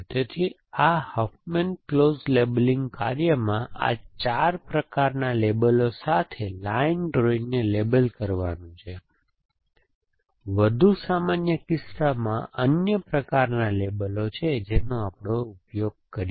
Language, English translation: Gujarati, So, this Huffman close labeling task is to label a line drawing with these 4 kinds of labels, in a more general case there are other kinds of labels that we use